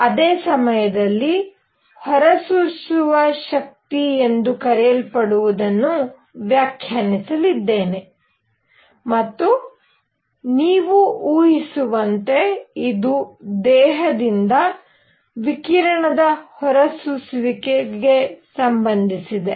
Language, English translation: Kannada, Simultaneously, I am going to define something called the emissive power and as you can well imagine, this is related to the emission of radiation from a body